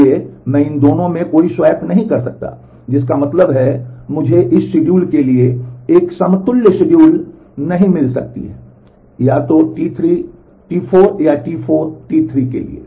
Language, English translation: Hindi, So, I cannot do either of this swaps which mean, that I cannot find a conflict equivalent schedule for this schedule; either to T 3 T 4 or to T 4 T 3